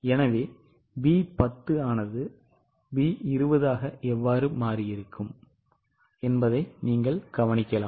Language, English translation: Tamil, So, you can note how it has been done B10 into B20